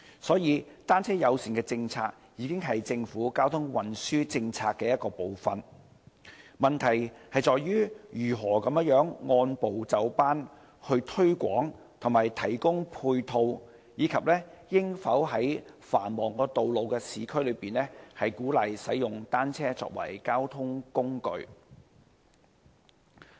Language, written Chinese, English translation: Cantonese, 所以，單車友善政策已經是政府交通運輸政策的一部分，問題在於如何按部就班推廣和提供配套，以及應否在繁忙的市區道路上鼓勵使用單車作為交通工具。, Hence a bicycle - friendly policy has already become part of the Governments transport policy . The questions lie in how to promote it and provide ancillary facilities step by step and whether the use of bicycles as a mode of transport on the busy urban roads should be encouraged